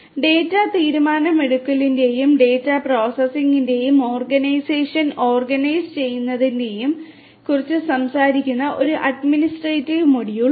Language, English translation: Malayalam, And there is an administrative module which talks about organizing organization of the data processing of the data decision making and so on